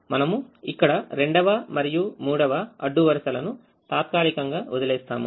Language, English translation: Telugu, we temporarily leave out the second and the third rows